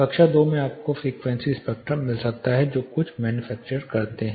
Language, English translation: Hindi, Class II you might get frequencies spectrum some of the manufactures do it